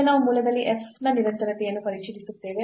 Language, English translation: Kannada, So, now we will check the continuity of f at origin